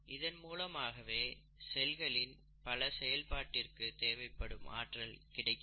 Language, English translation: Tamil, And this is how the cell gets its energy to do its various functions